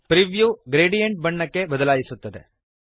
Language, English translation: Kannada, The preview changes to gradient colour